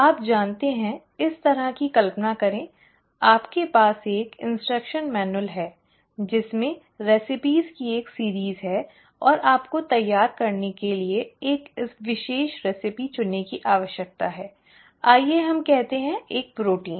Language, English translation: Hindi, You know, imagine like this, you have a instruction manual which has got a series of recipes and you need to pick out one specific recipe to prepare, let us say, a protein